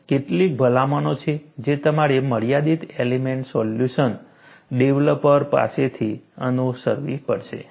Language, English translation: Gujarati, So, there are some recommendations, that you have to follow from finite element solution developer